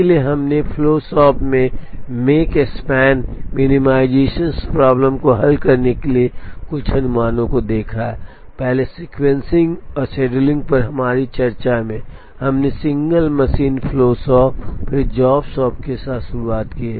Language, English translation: Hindi, So, we have now seen some heuristics to solve the make span minimization problem in a flow shop, earlier in our discussion on sequencing and scheduling, we started with single machine flow shop and then job shop